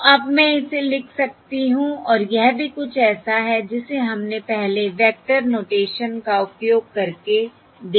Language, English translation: Hindi, So now I can write this as and this is also something we have seen before subsequently using vector notation